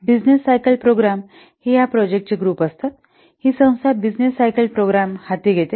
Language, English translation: Marathi, Business cycle programs, these are the groups of projects that are an organization undertakes within a business planning cycle